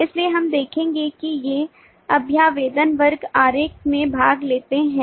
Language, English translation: Hindi, so we will see these representations take part in the class diagram